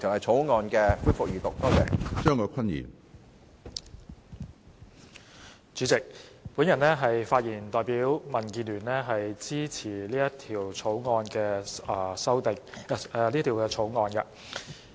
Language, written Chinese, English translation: Cantonese, 主席，我發言代表民主建港協進聯盟支持《2017年銀行業條例草案》。, President on behalf of the Democratic Alliance for the Betterment and Progress of Hong Kong DAB I speak in support of the Banking Amendment Bill 2017 the Bill